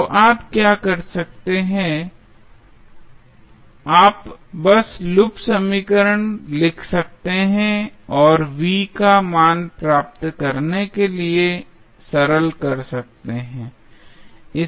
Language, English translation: Hindi, So, what you can do, you can just simply write the loop equation and simplify to get the value of Vth